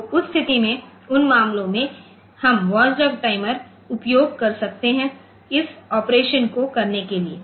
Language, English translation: Hindi, So, in that case in those cases we can have the, this watchdog timers for doing this operation